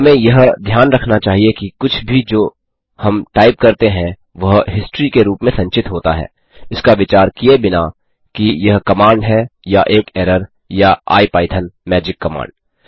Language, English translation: Hindi, We should note that anything we type in is stored as history, irrespective of whether it is command or an error or IPython magic command